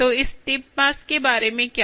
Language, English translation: Hindi, so what about this tip mass